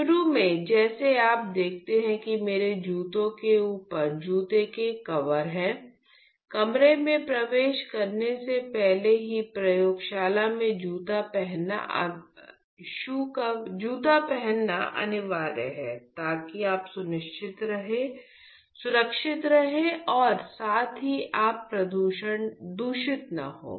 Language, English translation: Hindi, Initially like you see I have shoe covers on top of my shoes, even before you enter the room it is mandatory to wear shoes to the laboratory